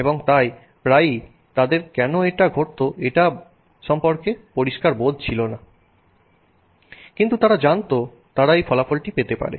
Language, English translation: Bengali, And so often there was no clear understanding of why something was happening but they knew that they could get that result